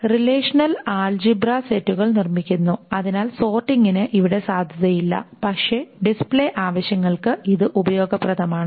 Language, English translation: Malayalam, The relational algebra produces set so the sorting has got no value there but for display purposes it is being useful